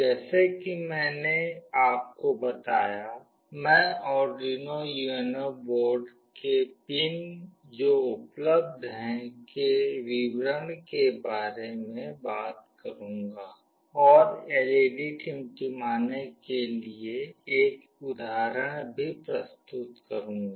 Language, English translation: Hindi, As I told you, I will be talking about Arduino UNO board description about the pins that are available and also work out an example for blinking LED